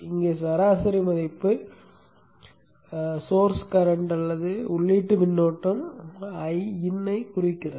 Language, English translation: Tamil, Here the average value is indicating the source current or the input current IN